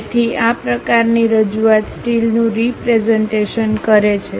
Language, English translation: Gujarati, So, such kind of representation represent steel